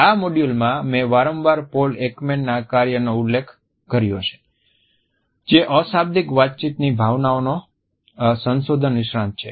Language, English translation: Gujarati, In this module, I have repeatedly referred to the work of Paul Ekman who is a renowned expert in emotions research, a non verbal communication